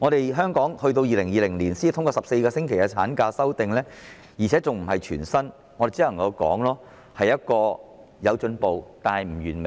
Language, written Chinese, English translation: Cantonese, 政府在2020年才提出修訂，將產假延長至14星期，而且更非全薪，我們只能說有進步，但不完美。, The Government proposes amendments only in 2020 to extend the ML period to 14 weeks without even offering full pay . We can only say that there is progress but this is not perfect